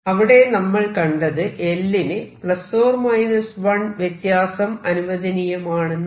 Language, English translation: Malayalam, So, what we found is l plus minus 1 is allowed